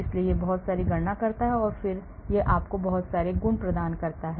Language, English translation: Hindi, so it does lot of calculations and then it gives you a lot of properties